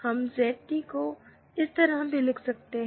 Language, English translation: Hindi, So, this ZT can also be written as like this